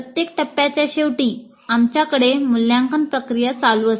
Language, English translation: Marathi, So, at the end of every phase we do have an evaluate process taking place